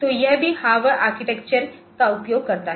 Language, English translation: Hindi, So, it is also using Harvard architecture, ok